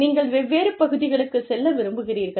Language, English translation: Tamil, And, you want to move into different areas